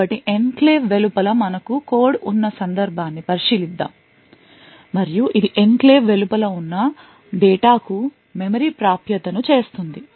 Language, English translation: Telugu, So, let us consider the case where we have code present outside the enclave, and it is making a memory access to data which is also present outside the enclave